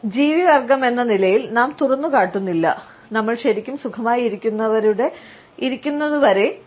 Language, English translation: Malayalam, We as a species do not expose our necks, unless we were really comfortable